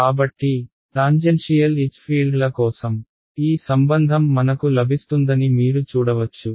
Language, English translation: Telugu, So, you can see that this relation is what I will get for tangential H fields